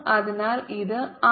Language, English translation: Malayalam, raise to six